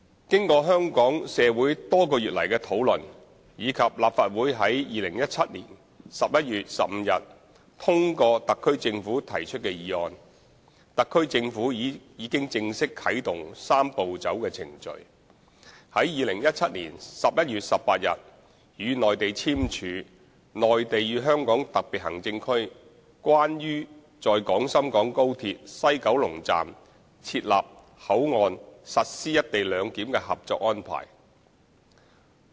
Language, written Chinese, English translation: Cantonese, 經過香港社會多個月來的討論，以及立法會在2017年11月15日通過特區政府提出的議案，特區政府已經正式啟動"三步走"程序，於2017年11月18日與內地簽署《內地與香港特別行政區關於在廣深港高鐵西九龍站設立口岸實施"一地兩檢"的合作安排》。, Following discussions in the community of Hong Kong over the past months as well as the passage of a motion moved by the HKSAR Government at the Legislative Council on 15 November 2017 the HKSAR Government formally commenced the Three - step Process by signing the Co - operation Arrangement between the Mainland and the Hong Kong Special Administrative Region on the Establishment of the Port at the West Kowloon Station of the Guangzhou - Shenzhen - Hong Kong Express Rail Link for Implementing Co - location Arrangement with the Mainland on 18 November 2017